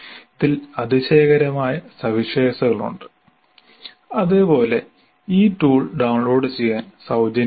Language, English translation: Malayalam, There are wonderful features in the tool and incidentally this tool is free to download